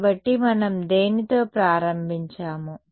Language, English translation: Telugu, So, what did we start with